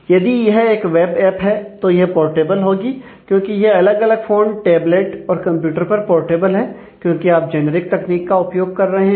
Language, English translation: Hindi, If it is a web app app, then it is portable because it is portable across different phone tablet or computer because, you are using generic technologies